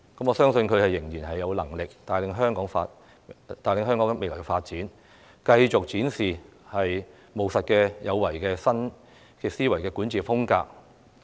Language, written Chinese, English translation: Cantonese, 我相信她仍然有能力帶領香港未來發展，繼續展示"務實有為"的新思維管治風格。, I believe she is still capable of leading Hong Kongs future development and will continue to demonstrate her pragmatic and proactive new governance mindset